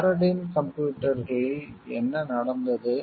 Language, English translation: Tamil, In Paradyne computers what happened